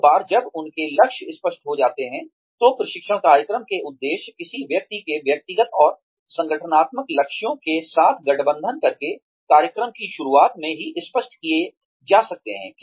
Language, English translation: Hindi, Once their goals are clear, then the objectives of the training program, aligned with a person's personal and organizational goals, can be made clear, right in the beginning of the program